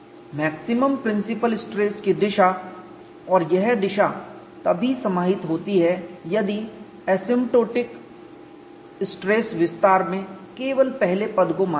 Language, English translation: Hindi, The direction of maximum principle stress and this direction coincide only if the first term in the asymptotic stress expansion is considering